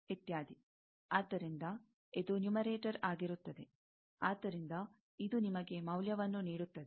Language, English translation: Kannada, So, this will be the numerator; so, this will give you the value